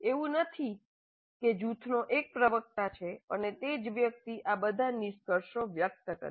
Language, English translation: Gujarati, It's not like there is a spokesman for the group and only that person expresses all these conclusions